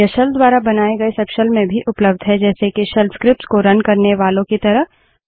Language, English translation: Hindi, These are also available in subshells spawned by the shell like the ones for running shell scripts